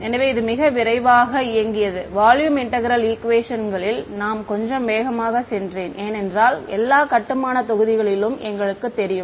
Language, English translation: Tamil, So, this was a very quick run through of volume integral equations I went a little fast because we know all the building blocks